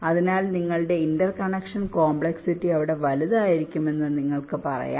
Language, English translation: Malayalam, so you can say that your interconnection complexity will be larger there